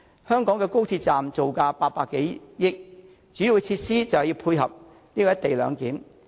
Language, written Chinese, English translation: Cantonese, 香港高鐵站造價800多億元，主要的設施就是要配合"一地兩檢"。, The construction cost of the Hong Kong Section of XRL is more than 80 billion with major facilities provided to facilitate the implementation of the co - location arrangement